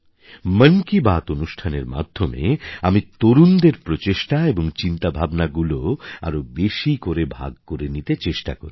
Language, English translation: Bengali, I try to share the efforts and achievements of the youth as much as possible through "Mann Ki Baat"